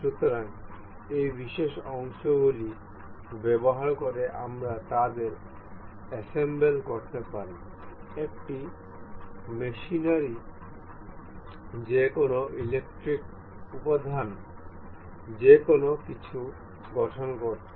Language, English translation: Bengali, So this is, using the these particular parts we can assemble these to form one machinery any electronic component anything